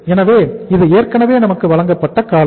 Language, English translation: Tamil, So that is the duration which is already given to us